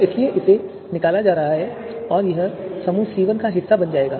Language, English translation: Hindi, So therefore, this is going to be extracted and this will become part of you know first group